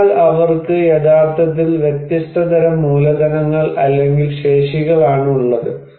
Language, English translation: Malayalam, So, they have actually different kind of capitals or capacities